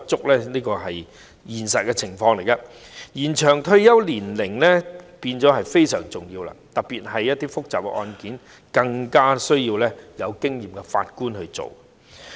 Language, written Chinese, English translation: Cantonese, 因此，延展法官及司法人員的退休年齡是非常重要的，特別是一些複雜的案件，更需要由有經驗的法官來審理。, Therefore it is very important to extend the retirement age of JJOs especially when some complicated cases should be heard by experienced judges